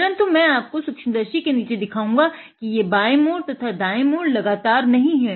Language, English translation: Hindi, But I will show you under the microscope that these left turns are not continuous left or right turns are not continuous